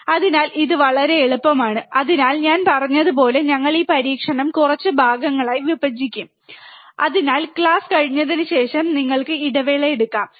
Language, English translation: Malayalam, So, this is very easy so, like I said, we will break this experiment into few parts so, that you can take a break in between after you have the class